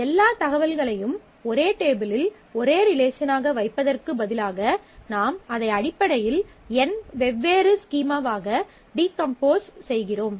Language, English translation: Tamil, So, instead of keeping all the information into one relation in one table, we are basically decomposing it into n different schemas